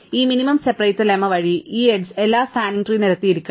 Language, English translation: Malayalam, By this minimum separator lemma, this edge must line every spanning tree